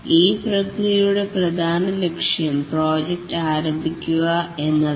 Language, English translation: Malayalam, The main goal of these processes is to start off the project